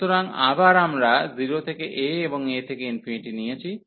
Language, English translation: Bengali, So, again we have taken 0 to a, and a to infinity